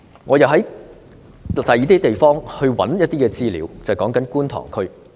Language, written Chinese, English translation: Cantonese, 我曾經尋找其他地方的資料，例如觀塘區。, I have searched for the information of other areas like the Kwun Tong area